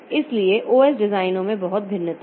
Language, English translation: Hindi, So, there are a lot of variation in the OS design